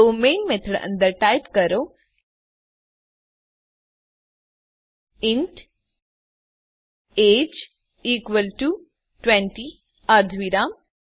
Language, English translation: Gujarati, So type inside the main method int age is equal to 20 semi colom